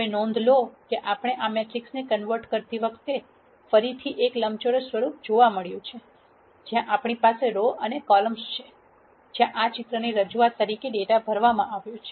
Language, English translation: Gujarati, Now notice that while we converted this matrix we have again got into a rectangular form, where we have rows and columns, where data is filled as a representation for this picture